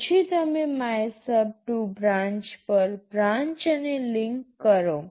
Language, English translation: Gujarati, Then you branch to MYSUB2 branch and link